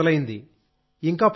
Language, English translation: Telugu, Yes, it has started now